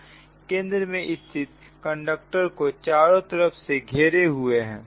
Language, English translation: Hindi, but you have six conductors surrounding the central conductor, you have the six conductor